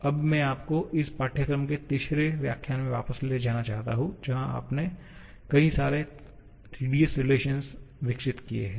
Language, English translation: Hindi, Now, I would like to take you back to the third lecture of this course where you develop a couple of tedious relations